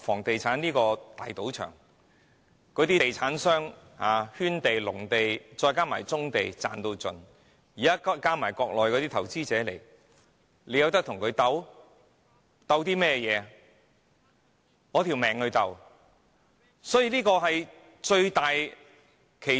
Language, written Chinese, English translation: Cantonese, 地產商可以透過圈地壟地，甚至棕地"賺到盡"，現在加上內地投資者，我們有何能力跟他們鬥法呢？, The property market is a big casino where property developers can make every possible gain by land enclosure and monopoly exercises and through brownfield sites . Now we have Mainland investors joining the market . How can we fight against them?